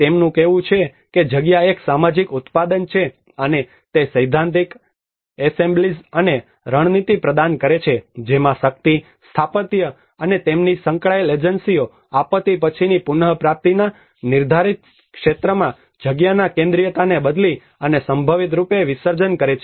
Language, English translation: Gujarati, He says the space is a social product, and it offers a theoretical assemblages and tactics in which power, architecture, and also their associated agencies alter and potentially dissolve the centrality of space in the depoliticized arena of post disaster recovery